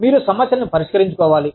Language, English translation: Telugu, You have to deal with issues